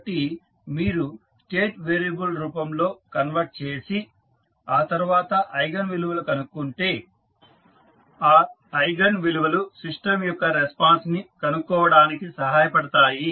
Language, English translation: Telugu, So, if you converted into State variable firm and find the eigenvalues these eigenvalues will help us in finding out the response of the system